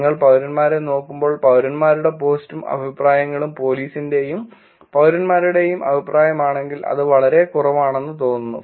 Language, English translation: Malayalam, As you look at citizens, if citizens' post and then the comments are from police and citizens it is seems to be much much lower